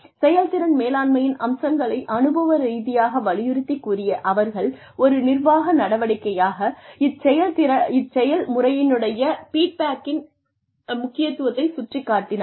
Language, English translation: Tamil, And they, who emphasized the experiential aspects of performance management, and highlighted the importance of feedback, as a management activity, in this process